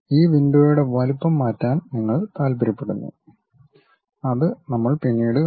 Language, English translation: Malayalam, You want to change the size of this window which we will see it later